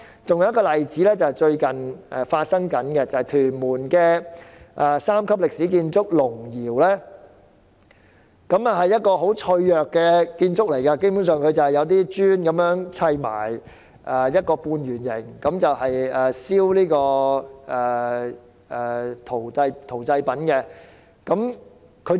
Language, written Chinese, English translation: Cantonese, 還有一個例子是最近發生的，就是屯門三級歷史建築青山龍窯，那是一個很脆弱的建築，基本上只是由一些磚砌成一個半圓建築，用來燒製陶製品的。, Another example which occurred recently is the Castle Peak Dragon Kiln in Tuen Mun a Grade III historical building . The semi - circular structure of the kiln which is basically made of bricks is fragile and is used for firing ceramic products